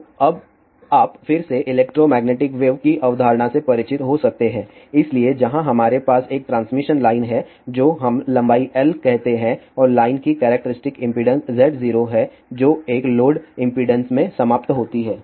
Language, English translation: Hindi, So, you might be again familiar with electromagnetic waves concept, so where we have a transmission line of let us say length L and characteristic impedance of the line is Z 0 which is terminated in a load impedance